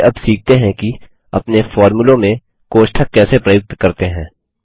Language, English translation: Hindi, Let us now learn how to use Brackets in our formulae